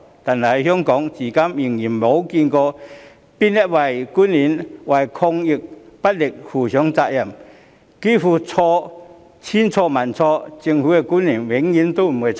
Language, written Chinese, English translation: Cantonese, 但是，香港至今仍未見有任何官員需要為抗疫不力負上責任，似乎千錯萬錯，政府官員永遠沒有錯。, However not a single official in Hong Kong has ever been held responsible for their poor performance in the fight against the epidemic and it seems that despite all the failures government officials are always not to blame